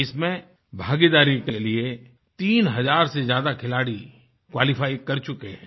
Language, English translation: Hindi, And more than 3000 players have qualified for participating in these games